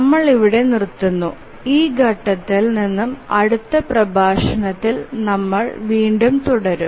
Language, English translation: Malayalam, We will stop here and we will continue the next lecture at from this point